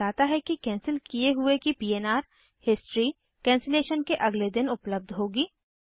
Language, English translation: Hindi, It says that the history for the canceled PNR will be available following day of cancellation, Alright